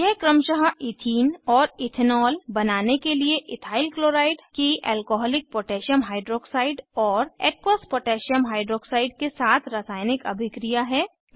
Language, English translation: Hindi, This is a chemical reaction of Ethyl chloride with Alcoholic Potassium hydroxide and Aqueous Potassium hydroxide to yield Ethene and Ethanol respectively